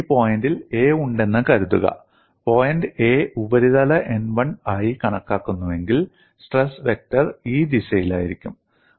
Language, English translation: Malayalam, Suppose I have on this point A, if I consider point A forming the surface n 1, the stress vector would be along this direction